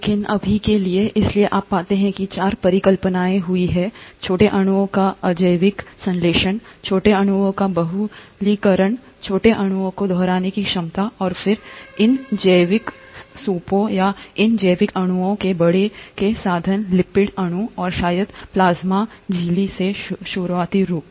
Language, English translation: Hindi, But for now, so you find that there have been four hypotheses, abiotic synthesis of small molecules, polymerization of small molecules, ability of the small molecules to replicate, and then, the enclosure of these biological soups, or these biological molecules by means of lipid molecules, and probably the earliest forms of plasma membrane